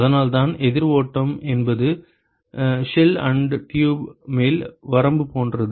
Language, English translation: Tamil, So, that is why counter flow is like the upper limit for shell and tube